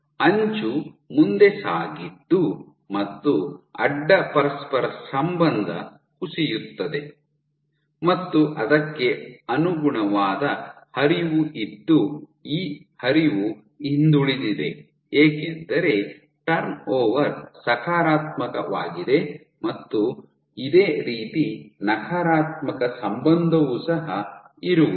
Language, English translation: Kannada, So, your edge moved ahead and again the edge your correlation dropped there was a corresponding flow and this flow was backward because the turnover is positive the flow is backwards we have a negative correlation